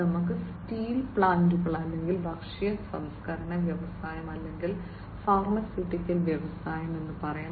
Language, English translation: Malayalam, Like let us say steel plants or, you know, food processing industry or, pharmaceuticals industry etcetera